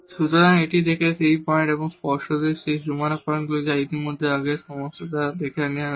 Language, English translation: Bengali, So, this is the point there and obviously, these boundary points which are already being taken care by the earlier problem